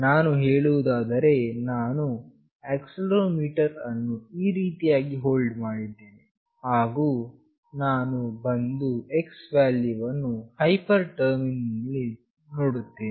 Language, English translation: Kannada, Let us say I have hold the accelerometer in this fashion and will come and see the value of x in the hyper terminal